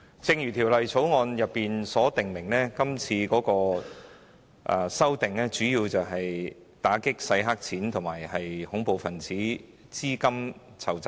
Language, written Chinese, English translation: Cantonese, 正如《條例草案》所訂，今次修例主要旨在打擊洗黑錢和恐怖分子資金籌集。, As specified in the Bill the purpose of this amendment exercise is mainly to combat money laundering and terrorist financing